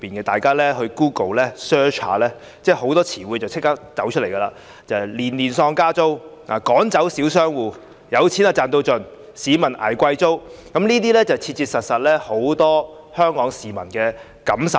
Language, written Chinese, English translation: Cantonese, 大家只要在 Google search 一下，便會找到很多以下詞彙："年年喪加租"、"趕走小商戶"、"有錢賺到盡"、"市民捱貴租"等，這些都是很多香港市民切切實實感受到的。, Members may simply do a search on Google and the following phrases will be found wild rent increases every year kicking out small tenants greed for profits and public suffering from exorbitant rents and so on . These are profoundly felt by many people in Hong Kong